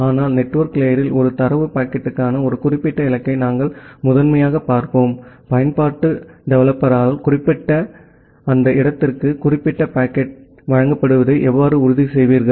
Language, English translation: Tamil, But in the network layer we will primarily look into that given a particular destination for a data packet, how will you ensure that the particular packet is delivered to that destination which is mentioned by the application developer